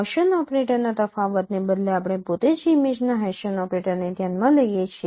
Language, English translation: Gujarati, Instead of the difference of Gaussian operator we consider the Haitian operator of the in the image itself